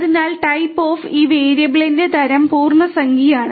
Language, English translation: Malayalam, So, type of; type of this variable is integer